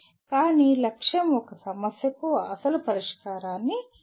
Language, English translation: Telugu, But the goal is to create an original solution for a problem